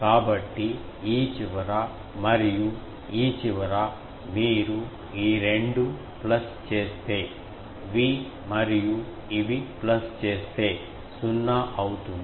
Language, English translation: Telugu, So, these end and these end you see these two pluses V and these plus, these makes it 0